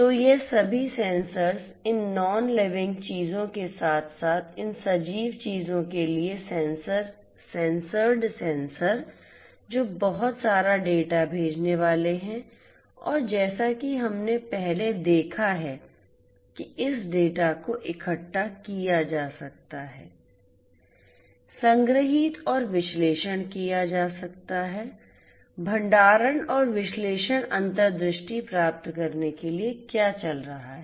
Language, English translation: Hindi, So, these all these sensors from these nonliving things plus the sensors fitted to these living things they are going to send lot of data and as we have seen previously this data can be collected, stored and analyzed, storage plus analyzed in order to gain insights about what is going on right